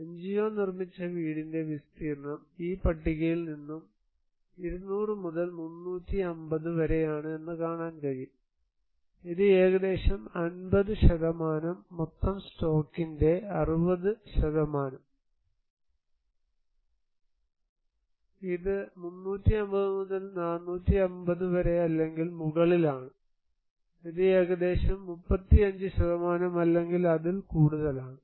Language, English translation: Malayalam, Area of NGO constructed house, you can see this table mostly from 200 to 350, this is around 50%, around 60% of the total stock and this is from 350 to 450 or above, this is around 35% or little more than that